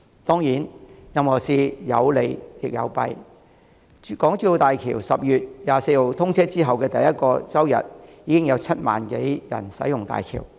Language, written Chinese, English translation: Cantonese, 當然，任何事情有利亦有弊，在港珠澳大橋10月24日通車後的第一個周日，已經有7萬多人使用大橋。, Certainly everything has its merits and demerits . On the first Sunday after the commissioning on 24 October HZMB was already used by some 70 000 people